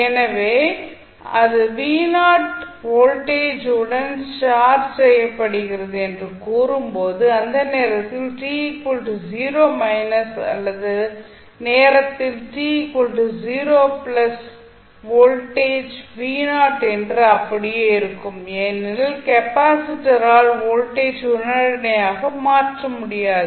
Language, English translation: Tamil, So, when you will say that it is charged with some voltage v naught we can say that at time t 0 minus or at time t 0 plus voltage will remain same as v naught because capacitor cannot change the voltage instantaneously